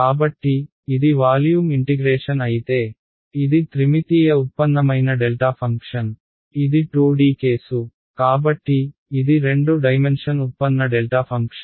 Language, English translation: Telugu, So, if it is a volume integration, it is a three dimension derived delta function, it is 2D case, so, it is two dimension derived delta function